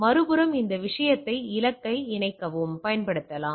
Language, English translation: Tamil, On the other hand this thing can be used to patch the target also